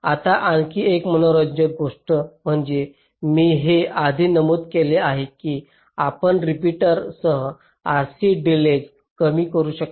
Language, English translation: Marathi, now another interesting thing is that this i have mentioned earlier that you can reduce r c delays with repeaters